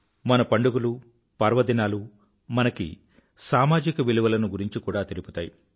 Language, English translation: Telugu, Our festivals, impart to us many social values